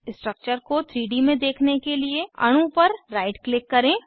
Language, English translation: Hindi, To view the structure in 3D, right click on the molecule